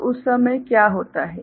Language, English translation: Hindi, So, what will happen at that time